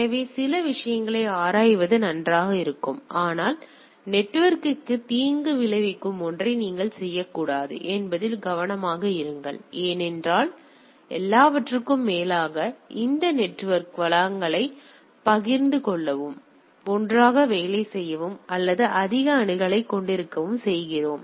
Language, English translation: Tamil, So, it will be nice to explore some of the things, but be careful that you should not do something which bring harm to the network because after all we make this network to have resources shared and able to work together or have that more accessibility to the resource